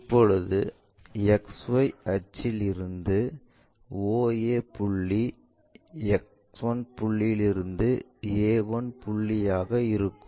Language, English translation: Tamil, Now, with respect to XY axis oa point from X 1 point all the way to a 1 point becomes one and the same